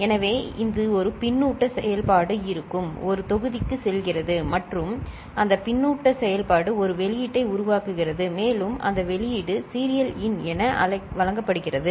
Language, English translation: Tamil, So, it is going to a block where there is a feedback function and that feedback function is generating an output, and that output is getting fed as serial in